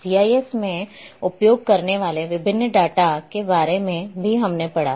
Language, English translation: Hindi, Also touched little bit about the different types of data which we use in GIS